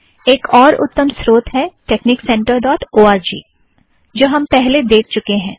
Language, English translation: Hindi, Another excellent source is texnic center dot org, which we have already seen